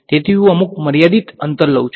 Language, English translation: Gujarati, So, I take some finite distance